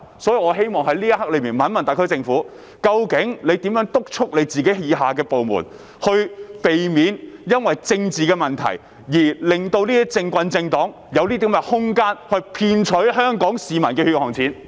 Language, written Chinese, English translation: Cantonese, 就此，我希望詢問特區政府如何督促各部門，令它們不要基於政治問題而讓"政棍"及政黨有空間騙取香港市民的血汗錢？, In this connection my question for the SAR Government is How will it urge its different departments to enforce the laws instead of leaving room out of political considerations to allow politicos and political parties to cheat Hong Kong people out of their hard - earned money?